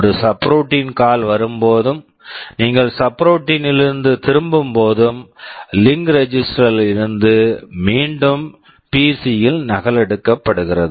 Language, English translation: Tamil, Whenever there is a subroutine call and when you are returning back from the subroutine, whatever is then the link register is copied back into PC